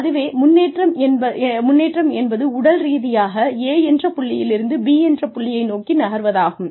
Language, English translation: Tamil, Advancement is, actually, physically, making a move from, point A to point B